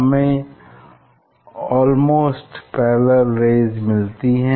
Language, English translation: Hindi, almost parallel rays we get